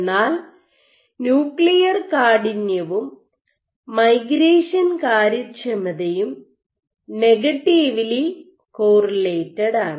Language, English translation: Malayalam, So, if you have nuclear stiffness and migration efficiency you have a negative correlation